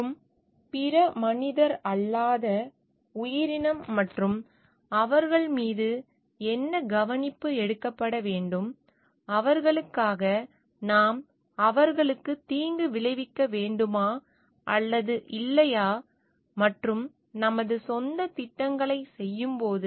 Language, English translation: Tamil, And other non human entities and like what care should be taken upon them, for them, what is the should we provide them any harm or not, and while doing our own projects